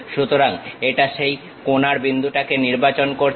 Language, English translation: Bengali, So, it has selected that corner point